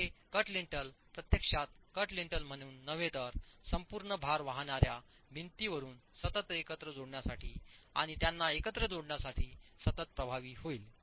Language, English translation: Marathi, So, this cut lintel would actually be effective not as a cut lintel but as a continuous lintel running through all the load bearing walls and connecting them together